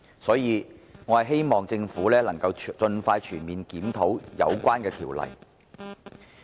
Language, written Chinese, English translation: Cantonese, 所以，我希望政府可以盡快全面檢討有關條例。, Hence I hope the Government will comprehensively review the relevant legislation as soon as possible